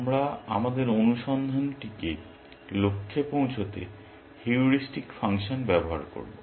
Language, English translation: Bengali, We will use the heuristic function to guide our search